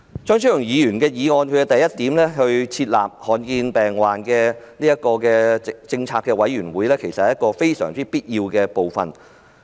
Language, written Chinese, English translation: Cantonese, 張超雄議員的原議案第一點提出設立罕見疾病政策委員會，這實在有必要。, Point 1 of Dr Fernando CHEUNGs original motion proposes to set up a policy committee on rare diseases . This is indeed necessary